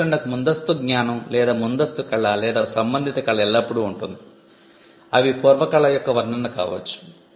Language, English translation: Telugu, There is always a prior knowledge or a prior art or a relevant art for the invention, they could be description of prior art